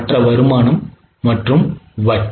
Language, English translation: Tamil, That is other income and interest